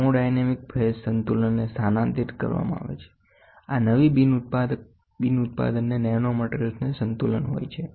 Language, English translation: Gujarati, Thermodynamic phase equilibrium is shifted, this allows production of new non equilibrium materials nanomaterials allows it